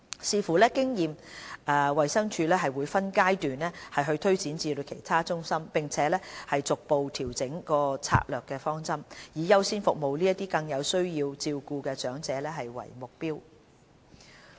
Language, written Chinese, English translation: Cantonese, 視乎所得經驗，衞生署會分階段推展服務至其他中心，並逐步調整策略方針，以優先服務這些更有需要照顧的長者為目標。, Subject to the experience from the pilot scheme HA may roll out this collaborative model to other EHCs in phases and may gradually shift the strategic direction of EHCs to the objective of according priority to elders who are more in need of the care services